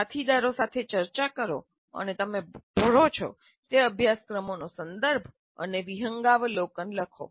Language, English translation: Gujarati, Discuss with colleagues and write the context and overview of the courses that you teach